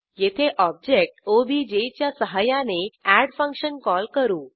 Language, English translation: Marathi, Here we call the function add using the object obj